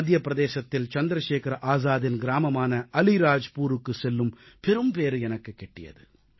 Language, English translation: Tamil, It was my privilege and good fortune that I had the opportunity of going to Chandrasekhar Azad's native village of Alirajpur in Madhya Pradesh